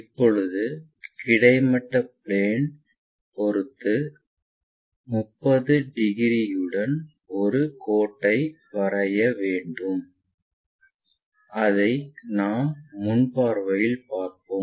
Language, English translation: Tamil, Now, what we have to do is 30 degrees with respect to horizontal plane, which we will see it in the front view